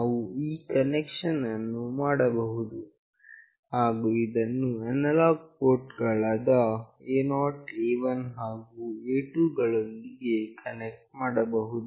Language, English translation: Kannada, We can make this connection, and connect to analog ports A0, A1, and A2